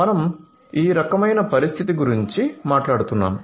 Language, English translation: Telugu, So, we are talking about this kind of scenario